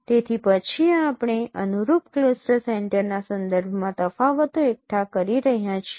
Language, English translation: Gujarati, So then we are accumulating the differences with respect to the corresponding cluster center